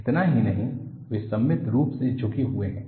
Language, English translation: Hindi, Not only that, they are tilted symmetrically